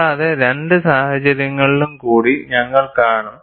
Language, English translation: Malayalam, And, we will also see, two more situations